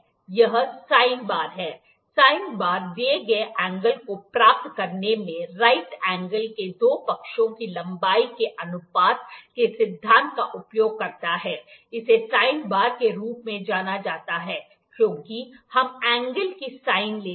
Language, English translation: Hindi, This is the sine bar, the sine bar uses the principle of the ratio of the length of two sides of the right angle in deriving the given angle, it is known as sine bar, because we take the sine of the angle